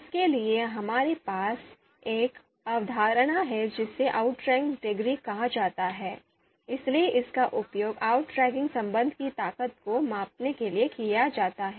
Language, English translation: Hindi, So for that, we have a concept called outranking degree, so that is used to actually measure the strength of the you know outranking relation